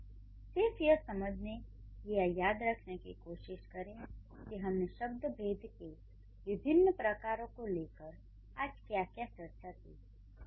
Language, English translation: Hindi, So, um, till then, just try to understand or try to remember what all we have discussed, um, to figure out what the different kinds of parts of speeches are